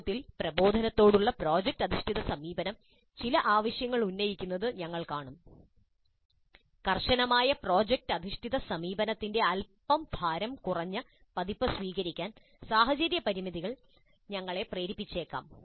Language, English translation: Malayalam, We'll see that while in principle, in theory, project based approach to instruction makes certain demands, the situational constraints may force us to adopt a slightly lighter version of the rigorous project based approach